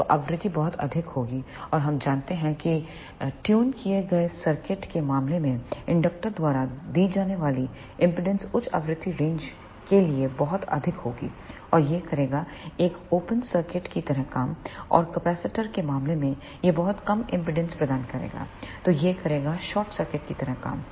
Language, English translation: Hindi, So, the frequency will be very high and we know in case of tuned circuit the impedance offered by the inductor will be very high for the high frequency range and it will act like a open circuit and in case of capacitor it will provide very low impedance, so it will act like a short circuit